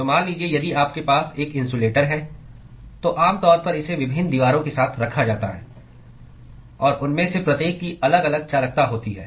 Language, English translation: Hindi, So, supposing if you have an insulator usually it is stacked with different walls; and each of them have different conductivities